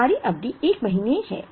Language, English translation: Hindi, Our period is a month